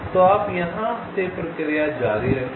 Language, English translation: Hindi, so you continue the process from here